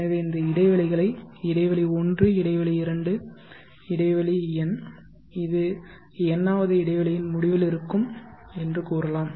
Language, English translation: Tamil, So if you say these intervals, interval one, interval two, interval n this will be at the end of the nth interval